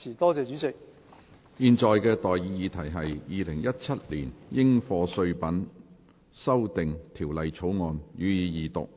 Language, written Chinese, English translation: Cantonese, 我現在向各位提出的待議議題是：《2017年應課稅品條例草案》，予以二讀。, I now propose the question to you and that is That the Dutiable Commodities Amendment Bill 2017 be read the Second time